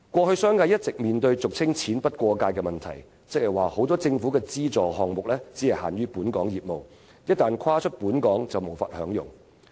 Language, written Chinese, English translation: Cantonese, 商界過去一直面對俗稱"錢不過界"的問題，即多項政府資助項目只限於本港業務，一旦跨出香港便無法享用。, One problem faced by the business sector all along is that money cannot cross the border . This means that many government subsidies are confined to local business only and any business outside Hong Kong is not entitled to such subsidies